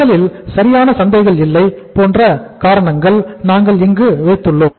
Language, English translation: Tamil, We have put here some reasons like first is no perfect markets